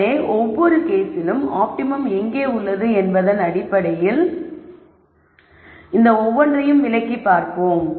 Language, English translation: Tamil, So, let us look at each of this case in terms of where the optimum lies and how we interpret this